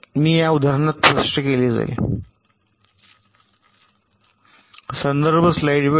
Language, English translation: Marathi, i shall be explained in this with example